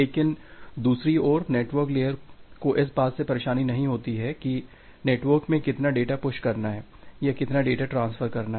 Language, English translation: Hindi, But on the other hand, this network layer it does not bother about that how much data need to be pushed to the network or how much data need to be transferred